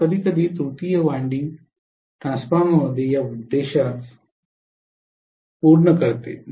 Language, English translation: Marathi, So sometimes the tertiary winding serves this purpose in a transformer